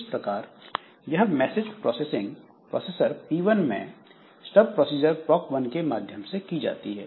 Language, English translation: Hindi, So, this message passing is done by this stub procedure proc one at processor at processor P1